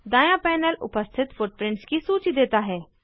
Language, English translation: Hindi, The right panel gives a list of footprints available